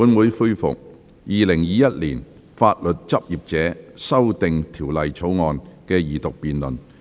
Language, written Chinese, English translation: Cantonese, 本會恢復《2021年法律執業者條例草案》的二讀辯論。, This Council resumes the Second Reading debate on the Legal Practitioners Amendment Bill 2021